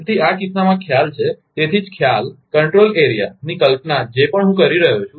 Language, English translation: Gujarati, So, in this case, the concept that is why concept of, concept of control area coming whatever I am telling